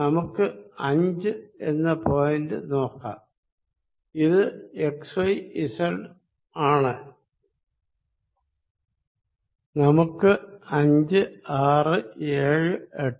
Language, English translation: Malayalam, Let us look at the point 5 is my x, y, z, let us look at surface 5, 6, 7, 8